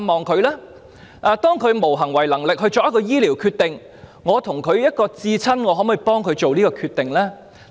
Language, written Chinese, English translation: Cantonese, 當伴侶無行為能力作出醫療決定時，身為至親者可否代其作出決定？, When they are incapacitated from making medical decisions can their partner as their closest person make such decisions on their behalf?